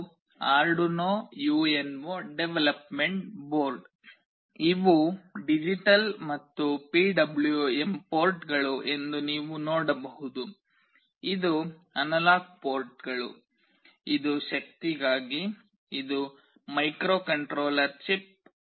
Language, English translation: Kannada, This is the Arduino UNO development board; you can see these are the digital and PWM ports, this is the analog ports, this is for the power, this is the microcontroller chip